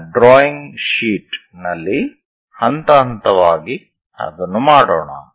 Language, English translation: Kannada, Let us do that step by step on our drawing sheet